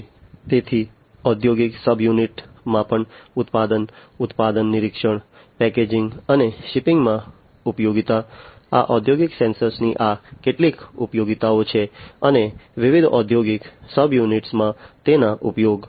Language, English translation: Gujarati, So, utility in industrial subunits measurement production, product inspection, packaging, and shipping, these are some of these utilities of industrial sensors and their use, in different industrial subunits